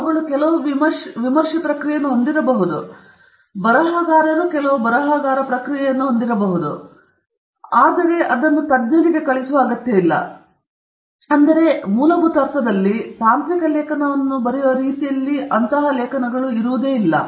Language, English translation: Kannada, They may have some review process, the publisher may have some reviewer process to understand whether it is something that they want to get into, but in a fundamental sense they are not in quite the same way that a technical article is written